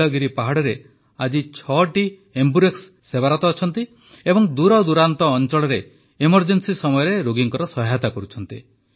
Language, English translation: Odia, Today six AmbuRx are serving in the Nilgiri hills and are coming to the aid of patients in remote parts during the time of emergency